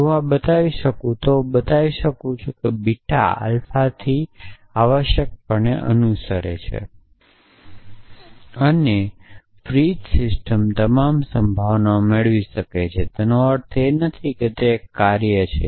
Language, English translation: Gujarati, So, if I can show this then I can show that beta follows from alpha essentially and Frege system can derive all possibilities of course that does not mean that it is a trivial task